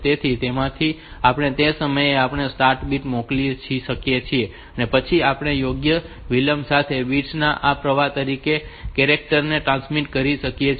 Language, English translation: Gujarati, So, from that we can send a start a bit for that time and then we can transmit the character as a stream of bits with appropriate delay